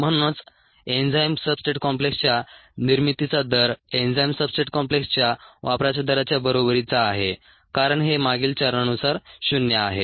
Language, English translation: Marathi, therefore, the rate of generation of the enzyme substrate complex equals the rate of consumption of the ah enzyme substrate complex, because this is equal to zero